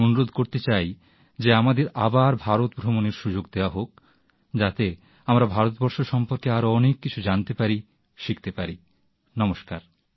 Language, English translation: Bengali, I request that we be given the opportunity to visit India, once again so that we can learn more about India